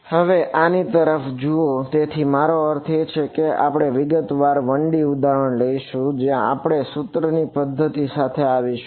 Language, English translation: Gujarati, Now, looking at this so, I mean we will take a detailed 1 D example where we will we will come up with the system of equations